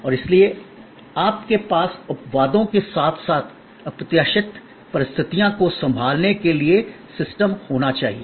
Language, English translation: Hindi, And therefore, you have to have systems to handle exceptions as well as unforeseen circumstances